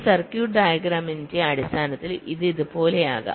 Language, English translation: Malayalam, so in terms of a circuit diagram it can look like this